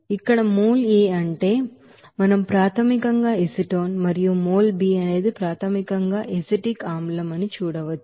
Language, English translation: Telugu, Here mol A means here we will see that here basically that acetone and mol B is basically that acetic acid